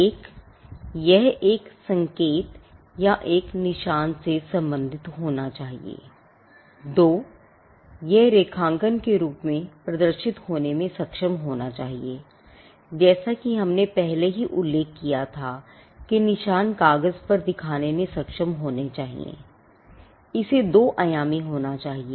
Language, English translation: Hindi, 1, it should pertain to a sign or a mark; 2, it should be capable of being represented graphically, as we had already mentioned the mark should be capable of being shown on, paper the it has to be 2 dimensional